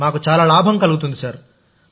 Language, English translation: Telugu, We also get satisfaction sir